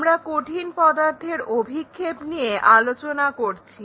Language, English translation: Bengali, We are covering Projection of Solids